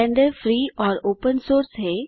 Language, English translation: Hindi, Blender is Free and Open Source